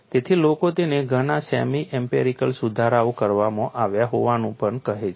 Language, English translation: Gujarati, So, people also call it as several semi empirical improvements have been made